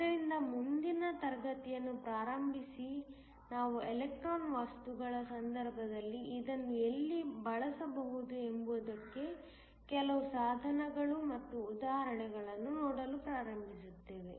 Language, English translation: Kannada, So starting next class, we will start to look at some devices and examples of where we can use this in the case electronic materials